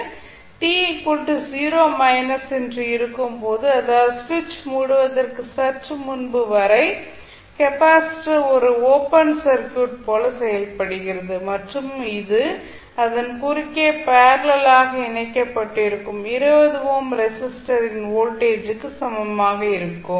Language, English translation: Tamil, Now at t is equal to 0 minus that means just before the switch is closed the capacitor acts like a open circuit and voltage across it is the same as the voltage across 20 ohm resistor connected in parallel with it